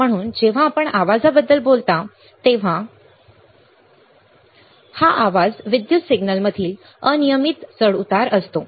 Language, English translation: Marathi, So, noise when you talk about noise it is a random fluctuation in an electrical signal